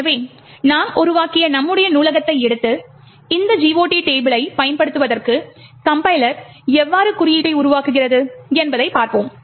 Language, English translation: Tamil, So, we will take our library that we have created and see how the compiler generates code for using this GOT table